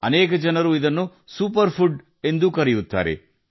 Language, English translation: Kannada, Many people even call it a Superfood